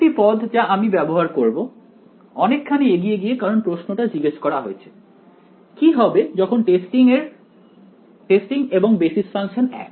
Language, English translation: Bengali, One more term I am going to use getting ahead of myself because the question has been asked, when you choose the testing and the basis functions to be the same